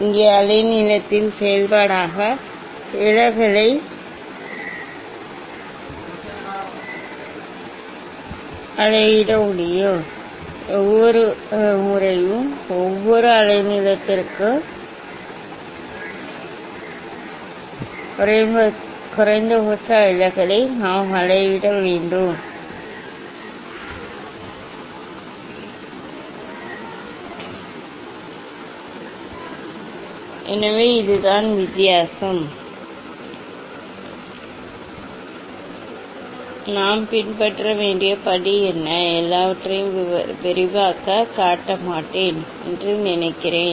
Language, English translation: Tamil, Here will not measure the deviation as a function of wavelength, each time we have to measure the minimum deviation for each wavelength ok, so that is the difference what is the step we will follow; I think I will not show everything in detail